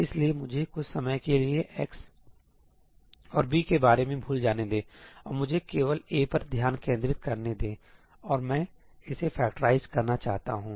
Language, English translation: Hindi, So, let me forget about x and b for the time being, and let me just concentrate on A, and I want to factorize it